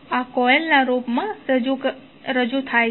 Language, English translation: Gujarati, This is represented in the form of coil